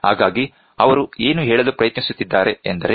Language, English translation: Kannada, So, that is what we are trying to say